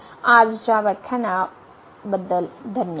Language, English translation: Marathi, Thank you, for today’s lecture